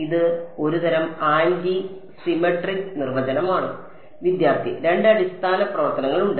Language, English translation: Malayalam, It is sort of an anti symmetric definition There are two basis functions